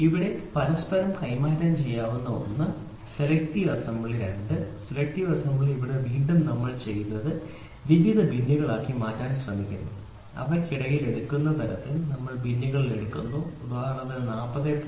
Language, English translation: Malayalam, So, here interchangeability is one, selective assembly is two, selective assembly here again what we do is we try to put it into several bins and we pick from the bin such that in between these are taken into, for example, this can be 40